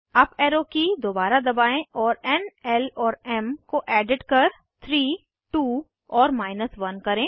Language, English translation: Hindi, Press up arrow key again and edit n, l and m to 3 2 and 1